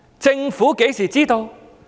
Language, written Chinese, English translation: Cantonese, 政府何時知道？, When did the Government learn of it?